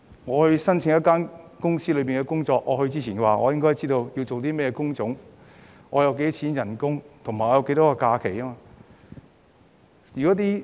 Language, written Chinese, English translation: Cantonese, 在申請某間公司的職位前，我便應該知道工種是甚麼，工資多少及假期日數。, Before applying for a position of a certain company the applicant should know the job type the salary offered and the holiday entitlement